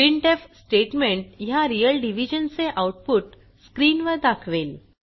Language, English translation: Marathi, The printf statement displays the output of real division on the screen